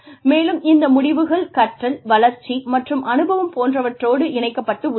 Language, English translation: Tamil, And, these outcomes are linked with learning, development, and experience